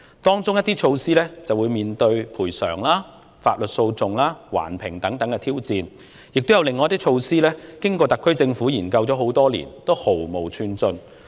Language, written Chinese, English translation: Cantonese, 當中一些措施更會面對賠償、法律訴訟、環境評估等挑戰，亦有一些措施經過特區政府研究多年後仍然毫無寸進。, Some of these measures will even encounter such challenges as compensation claims lawsuits environmental assessments and so on and some of the measures have been studied by the SAR Government for years without the slightest progress being made